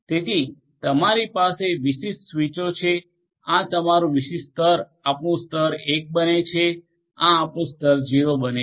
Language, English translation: Gujarati, So, these are your different different switches at this particular level this becomes your level 1, this becomes your level 0 right